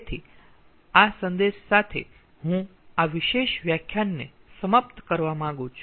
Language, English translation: Gujarati, so with this message i like to ah end, ah, this particular lecture